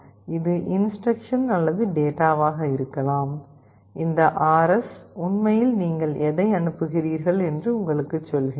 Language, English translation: Tamil, It can be either instruction or data; this RS actually tells you what you are actually writing